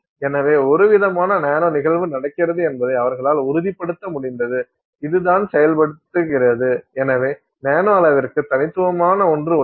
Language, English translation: Tamil, So, they were able to confirm that there is some kind of a nano phenomenon that is happening which is what is enabling, so there is something unique to the nanoscale